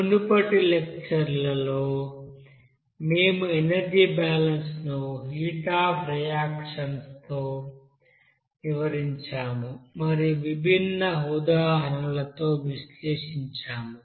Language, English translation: Telugu, In the previous lectures we have described the energy balance with heat of reaction and analysis with different examples